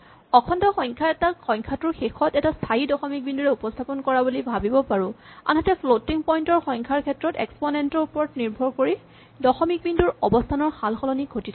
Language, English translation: Assamese, So, an integer can be thought of as a fixed decimal point at the end of the integer a floating point number is really a number where the decimal point can vary and how much it varies depends on the exponent